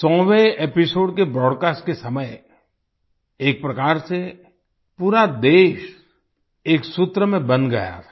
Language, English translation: Hindi, During the broadcast of the 100th episode, in a way the whole country was bound by a single thread